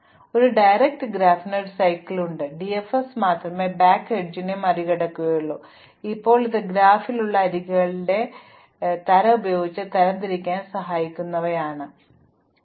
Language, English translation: Malayalam, But, a directed graph has a cycle if and only if DFS will reveals a back edge, now it turns out that these pre and post numberings are very useful to help as classify the types of edges that are there in the graph